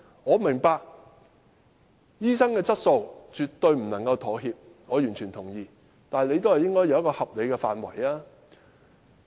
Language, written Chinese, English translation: Cantonese, 我明白醫生質素絕對不能妥協，這點我完全同意，但也應有一個合理的範圍。, I understand that there should be no compromise in the quality of doctors . I totally agree with this . Yet this should be within a reasonable scope